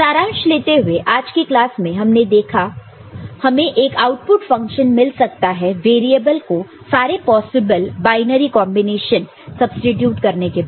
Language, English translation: Hindi, So, to conclude what we have seen today in this particular class is, we can obtain a function output by substituting variables with possible binary all possible binary combinations